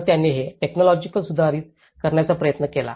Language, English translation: Marathi, So, what they did was they try to upgrade this technology